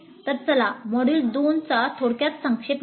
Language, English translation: Marathi, So let us quickly have a recap of the module 2